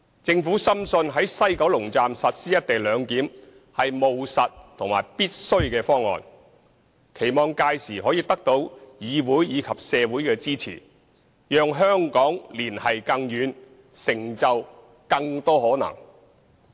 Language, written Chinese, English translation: Cantonese, 政府深信在西九龍站實施"一地兩檢"是務實和必須的方案，並期望屆時可以得到議會及社會的支持，讓香港連繫更遠，成就更多可能。, The Government is convinced that the implementation of the co - location arrangement at the West Kowloon Station is a pragmatic and necessary proposal and it is hoped that it will have the support of the Legislative Council and the community so that Hong Kong will be connected to faraway places and positioned to make more achievements